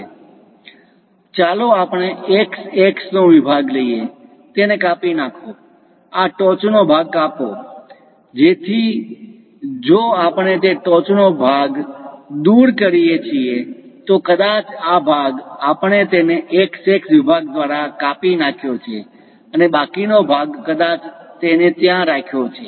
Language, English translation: Gujarati, So, let us take a section x x, slice it; remove this top portion, so that if we remove that top portion, perhaps this part we have removed it by section x x and the remaining part perhaps kept it there